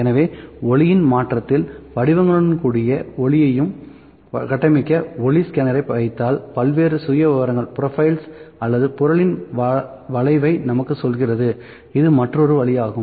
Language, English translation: Tamil, So, if just put the light and the structured light scanner with patterns in a change of a light tells us the various profiles or the curve of the object so, this is another way